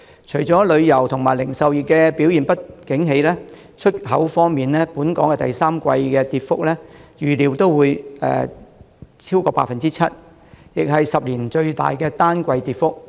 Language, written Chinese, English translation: Cantonese, 除了旅遊業和零售業不景氣，出口方面，本港第三季的跌幅預料超過 7%， 是10年來最大的單季跌幅。, Apart from the tourism and retail sectors being in a slump Hong Kongs exports have also been expected to fall by more than 7 % in the third quarter which is the largest quarterly drop in a decade